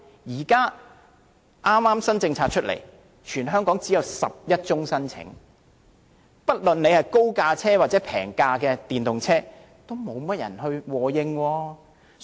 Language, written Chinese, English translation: Cantonese, 當局推出新政策後，全港只有11宗申請，不論是高價還是低價的電動車，似乎也無人和應。, The Government has received only 11 applications since the announcement of the scheme and it seems that the scheme has failed to attract potential buyers of both high - priced and lower - priced EVs